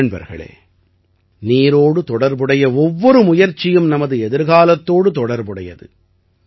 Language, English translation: Tamil, Friends, every effort related to water is related to our tomorrow